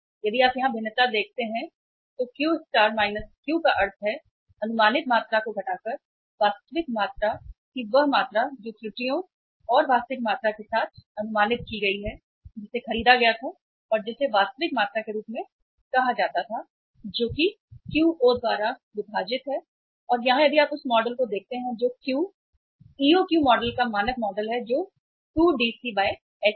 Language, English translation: Hindi, If you see the variation here then Q star minus Q means estimated uh say quantity minus the actual quantity means quantity which is say estimated with errors and actual quantity which was purchased and which was called as the real uh quantity that is EOQ divided by the Q and here if you look at the model which is the standard model of the Q, EOQ model that is 2DC divided by H